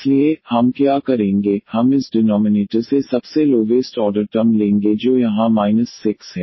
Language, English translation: Hindi, So, what we will do, we will take this lowest order term from this denominator that is minus 6 here